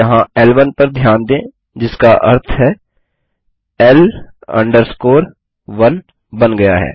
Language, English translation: Hindi, Notice L1 here which means L 1 is created